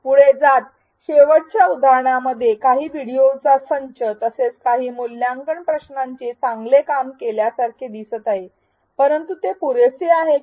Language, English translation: Marathi, Going further, a set of videos plus some assessment questions like in the last example seems like its doing better, but is that enough